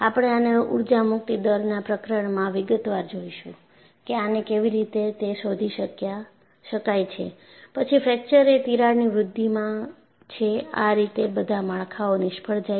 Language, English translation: Gujarati, And we would see in detail in the chapter on energy release rate, how he was able to find out that, there is a crack growth followed by fracture; because that is how all structures failed